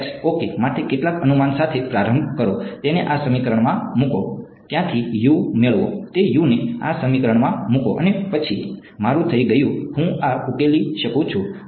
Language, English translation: Gujarati, Start with some guess for x ok, put it into this equation, get U from there, put that U into this equation and then I am done I can solve this